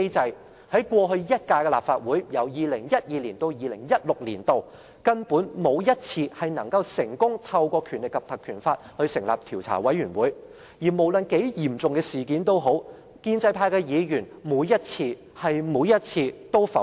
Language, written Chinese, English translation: Cantonese, 在過去一屆的立法會，議員沒有一次能成功根據《立法會條例》成立調查委員會，而無論是多嚴重的事件，建制派議員每一次——是每一次——也會否決。, In the previous term Legislative Council 2012 - 2016 Members had never been successful in invoking the Legislative Council Ordinance in establishing investigation committees . Despite the severity of the incidents in question Members from the pro - establishment camp vetoed the motions on every occasion and I must stress that they vetoed them every time